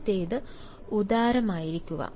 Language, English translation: Malayalam, the first is: be generous